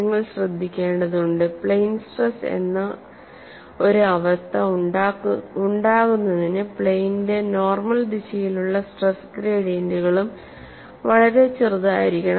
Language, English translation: Malayalam, And you will also have to note, for a state of plane stress to occur the stress gradients in the direction of normal to the plane must also be negligibly small